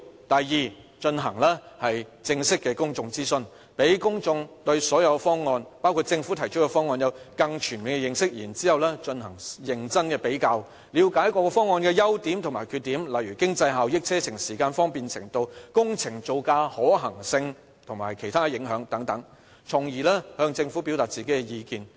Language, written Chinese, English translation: Cantonese, 第二，進行正式的公眾諮詢，讓公眾對所有方案，包括政府提出的方案，有更全面的認識，然後進行認真的比較，了解各方案的優點及缺點，例如經濟效益、車程時間、方便程度、工程造價、可行性及其他影響，從而向政府表達意見。, The Government should allow the public to get a solid grasp of all proposals including the Government proposal . The public can thus seriously compare the advantages and disadvantages of various proposals on the basis of their economic benefits travelling times convenience project costs feasibility and the other impacts so that they can give their views to the Government